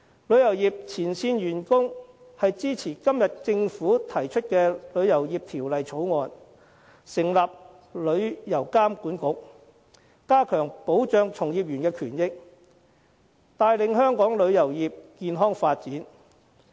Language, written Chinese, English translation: Cantonese, 旅遊業前線員工支持今天政府提出的《旅遊業條例草案》，成立旅遊業監管局，加強保障從業員的權益，帶領香港旅遊業健康發展。, The frontline staff of the tourism industry support the Bill tabled by the Government to set up a Travel Industry Authority which will enhance the protection of the rights of practitioners of the tourism industry of Hong Kong and spearhead the healthy development of the industry